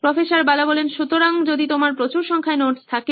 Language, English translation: Bengali, So, if you have a high number of notes